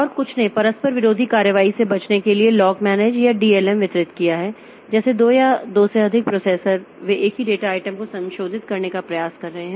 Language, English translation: Hindi, And some have distributed lock manager or DLM to avoid conflicting operations like two or two or more processors they are trying to modify the same data item